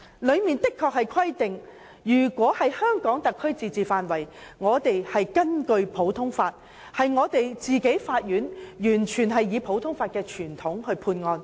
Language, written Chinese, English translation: Cantonese, 當中確實規定，在香港特區自治範圍內，香港法院可完全根據普通法的傳統審理案件。, It does provide that within the limits of the autonomy of the Hong Kong SAR the Courts of Hong Kong may adjudicate cases in full accordance with the common law tradition